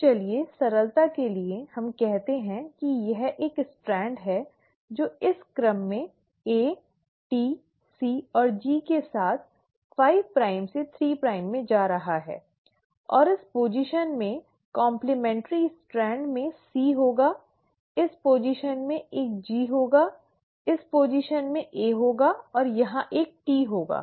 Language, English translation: Hindi, So let us, for simplicity sake, let us say this is one strand which is going 5 prime to 3 prime with this sequence, A, T, C and G, then the complementary strand at this position will have a C, at this position will have a G, at this position will have an A and here it will have a T